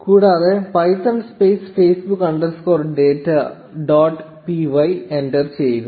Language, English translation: Malayalam, And python space facebook underscore data dot p y enter